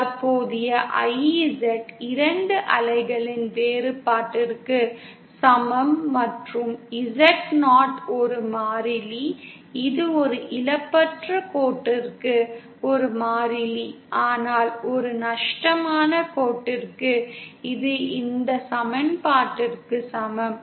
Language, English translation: Tamil, And the current IZ is equal to the difference of 2 waves and the Zo is a constant, it is a constant for a lossless line but for a lossy line, it is equal to this equation